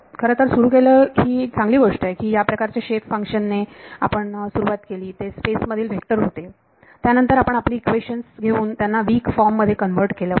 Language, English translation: Marathi, So, we started with the actually this is a good thing we started with the kind of shape functions these were are vectors in space then we took our equations converted into weak form